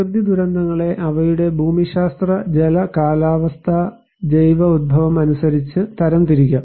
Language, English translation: Malayalam, Natural hazards can be classified according to their geological, hydro meteorological and biological origin